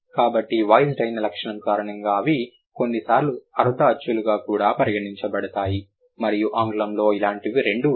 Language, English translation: Telugu, So, because of the voiced feature, they are sometimes also considered as semi vowels and then English has two of them